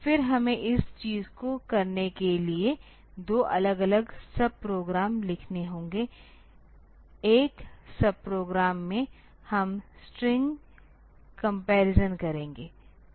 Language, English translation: Hindi, Then we have to write two separate sub programs for doing this thing; one sub program we will do string comparison